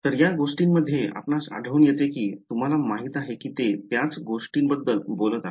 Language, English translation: Marathi, So, you encounter any of these things you know they are talking about the same thing ok